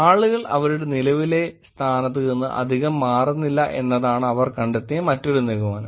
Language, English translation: Malayalam, Another conclusion that they also found was people do not move a lot from their current location